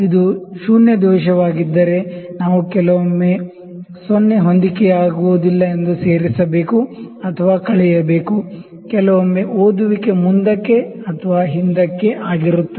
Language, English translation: Kannada, Had it been a zero error we have to add or subtract that sometimes the 0 is not coinciding; sometimes a reading is forward or backward